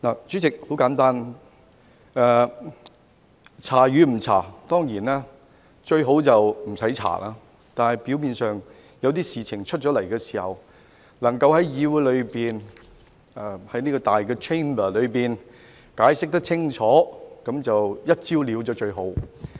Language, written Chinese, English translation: Cantonese, 主席，很簡單，調查與否，當然最好就不用調查，但表面上有一些事情發生了，能夠在議會及這個大 Chamber 解釋清楚，能夠"一招了"的話，那便最好。, President regarding the question of whether investigation should be conducted of course it is best not to conduct any investigation . But since some incidents have apparently happened the best arrangement is to get a clear explanation from those involved and deal with them at this Chamber of the Council in one go